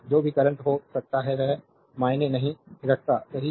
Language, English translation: Hindi, Whatever may be the current it does not matter, right